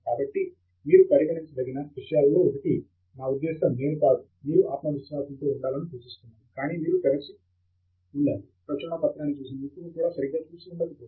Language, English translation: Telugu, So one of things you should be open to, I mean, I am not suggesting that you should be over confident, but one of things you should be open to is the possibility that the expert who looked at the paper may also not be right